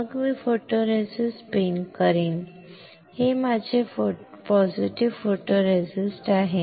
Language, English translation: Marathi, Then I will spin coat photoresist, this is my positive photoresist